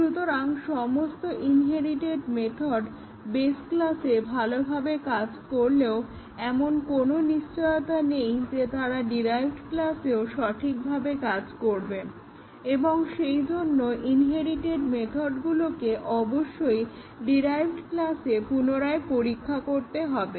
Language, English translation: Bengali, So, all the inherited methods even though they worked fine in the base class there is no guarantee that they will not work correctly in the derived class and therefore, the inherited method have to be retested in the derived class